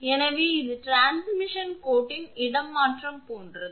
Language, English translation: Tamil, So, it is something like your transposition of the transmission line